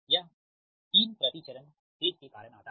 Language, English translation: Hindi, this three comes because of the per phase